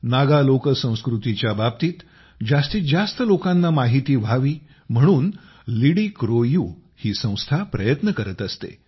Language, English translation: Marathi, People at LidiCroU try to make more and more people know about Naga folkculture